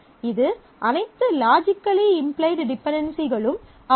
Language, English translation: Tamil, It is all dependencies that are logically implied by it